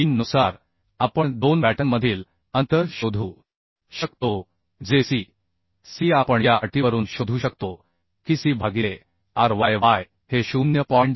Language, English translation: Marathi, 3 we can find out the spacing between two batten that C C we could find out from the condition that C by ryy should be less than 0